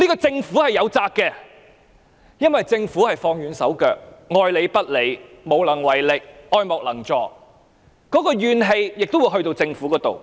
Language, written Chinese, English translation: Cantonese, 政府對此實在有責，因為政府放軟手腳、愛理不理、無能為力、愛莫能助，市民的那股怨氣亦會轉移到政府。, The Government is to blame for this situation . It is because of the Governments lukewarm and couldnt - care - less attitude incapability and helplessness that the grievances of the people will shift to the Government